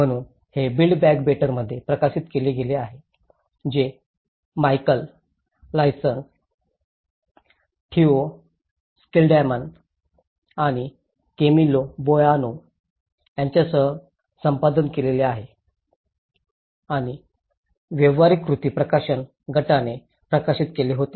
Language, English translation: Marathi, So this has been published in the built back better which was edited by Michal Lyons, Theo Schilderman, and with Camilo Boano and published by the practical action publishing group